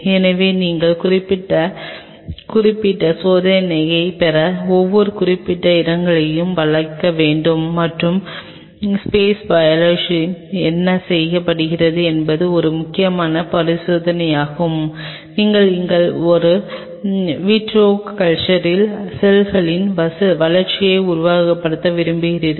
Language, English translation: Tamil, So, you have to curve out and each of certain spots to have certain specific experiment and one of the critical experiments what is being done in space biology is where you wanted to simulate the growth of cells in an in vitro culture